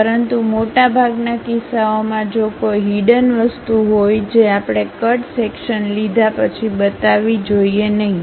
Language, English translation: Gujarati, But, most of the cases if there is a hidden thing that we should not show after taking cut section